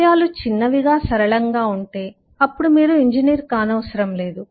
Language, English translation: Telugu, if things are small, simple, then you don’t need to be an engineer